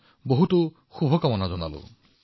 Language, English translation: Assamese, I wish you all the best